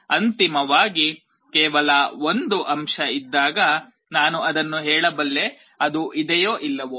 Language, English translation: Kannada, Finally, when there is only 1 element, I can tell that whether it is there or not